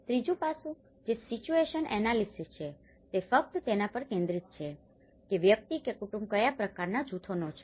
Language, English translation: Gujarati, The third aspect, which is a situational analysis, it focuses just on what kind of group a person or a family belongs to